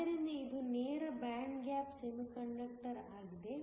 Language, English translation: Kannada, So, this is a direct band gap semiconductor